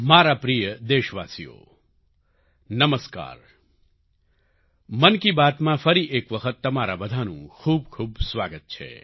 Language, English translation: Gujarati, I extend a warm welcome to you all in 'Mann Ki Baat', once again